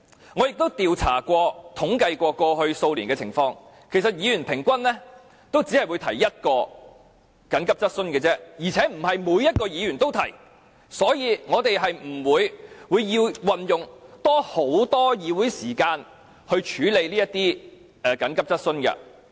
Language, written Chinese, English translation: Cantonese, 我亦曾作調查，以及統計過去數年的情況，其實議員平均只會提出一項急切質詢而已，而且並非每一位議員也提出，所以我們是不會有需要運用很多議會時間來處理這類急切質詢。, I have conducted a survey and compiled some statistics on the situation over the past few years . In fact on average each Member has only raised one urgent question and in reality not every Member has done so . Therefore it is unnecessary for us to spend a lot of meeting time in dealing with this kind of urgent questions